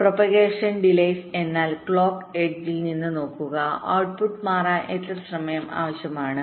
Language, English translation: Malayalam, propagation delays means staring from the clock edge: how much time is required for the output to change